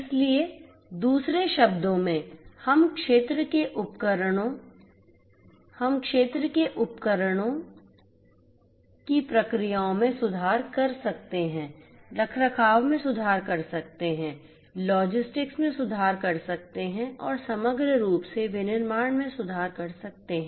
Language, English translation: Hindi, So, in other words we could have field devices improve the processes, improve the maintenance, improve logistics, improve manufacturing holistically